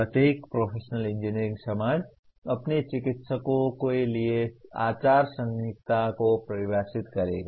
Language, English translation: Hindi, Every professional engineering society will define a code of ethics for its practitioners